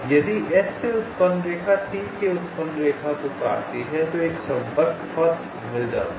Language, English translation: Hindi, ah, if a line generated from s intersects a line generated from t, then a connecting path is found